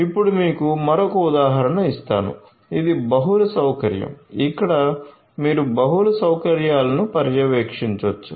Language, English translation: Telugu, Let me now give you another example, this is the multi facility so, where you have multiple facilities being monitored right